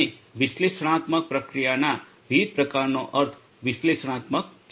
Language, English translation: Gujarati, And the different types of analytics processing means analytics right